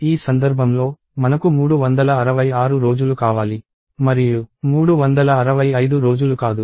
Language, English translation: Telugu, In which case, I need 366 days and not 365 days